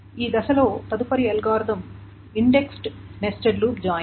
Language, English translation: Telugu, The next algorithm in this space is the indexed nested loop join